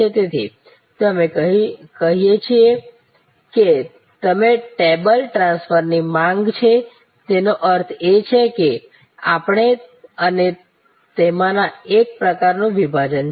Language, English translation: Gujarati, So, there is a sought of across the table transfer as we say; that means, there is a some kind of we and them divide